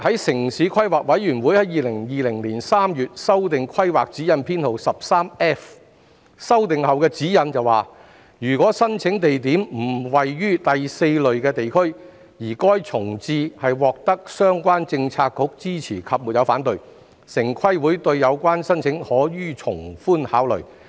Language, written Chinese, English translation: Cantonese, "城市規劃委員會在2020年3月修訂規劃指引編號 13F， 據修訂後的指引所述，如申請地點並非位於第4類地區，而該重置獲相關政策局支持及沒有反對，城規會對有關申請可從寬考慮。, In March 2020 the Town Planning Board TPB revised the TPB Guidelines No . 13F . According to the revised guidelines if a site involved in an application is not located in a Category 4 area and the reprovisioning proposal has commanded the support of the relevant Policy Bureau without any objection then TPB may give sympathetic consideration to the proposal